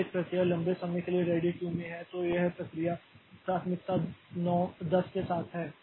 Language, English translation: Hindi, If a process is in the ready queue for a long time, so this process like with the priority say 10